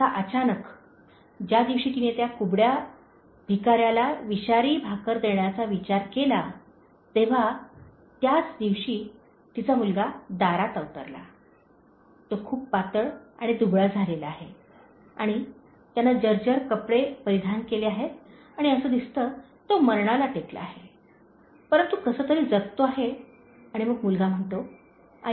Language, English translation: Marathi, Now, suddenly this day, when she thought of giving that poisonous bread to the hunchback beggar, the son appears at her doorstep and he is very lean and thin and he is wearing shabby clothes and he looks as if she was about to die, but surviving somehow and then the son says, mother